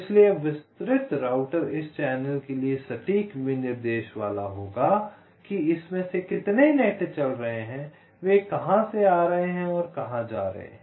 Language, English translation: Hindi, so now detailed router will be having the exact specification for this channel: how many nets are going through it, from where it is coming from, when it is going and so on